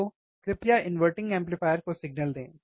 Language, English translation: Hindi, So, please give signal to the inverting amplifier